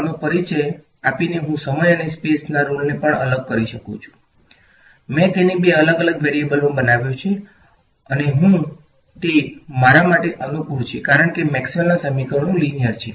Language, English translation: Gujarati, By introducing this I am also separating the role of time and space, I made it into two separate variables and I can that is convenient for me with Maxwell’s equations because Maxwell’s equations are nicely linear right